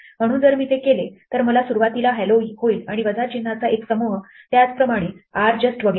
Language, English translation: Marathi, So if I do that then I will get hello at the beginning and a bunch of minus signs, similarly with rjust and so on